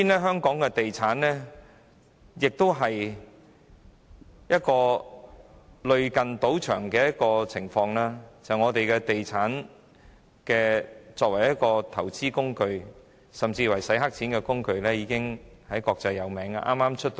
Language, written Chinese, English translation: Cantonese, 香港的地產市場同樣類似賭場，本港物業作為投資工具甚或洗黑錢工具，已經國際聞名。, The real estate market in Hong Kong is also like a casino and the whole world knows that properties in Hong Kong are used as investment tools or money laundering tools